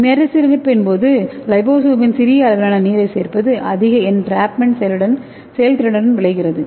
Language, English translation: Tamil, So during rehydration the addition of small volume of water results in liposome with high entrapment efficiency